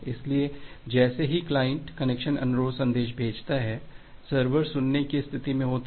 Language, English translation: Hindi, So, once the client send the connection request message the sever is in the listen state